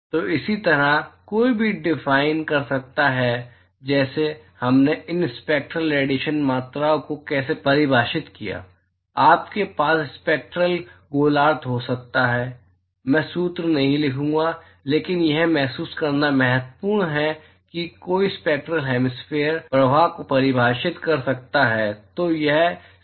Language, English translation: Hindi, So, similarly one could define, just like how we defined these Spectral hemispherical quantities, you can have Spectral hemispherical, I am not going to write the formula, but it is just important to realize that, one could define a Spectral hemispherical irradiation flux